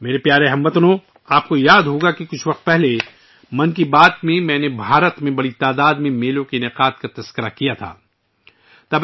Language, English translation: Urdu, My dear countrymen, you might remember that some time ago in 'Mann Ki Baat' I had discussed about the large number of fairs being organized in India